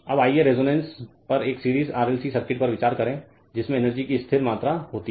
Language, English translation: Hindi, Now now let us consider a series RLC circuit at resonance stores a constant amount of energy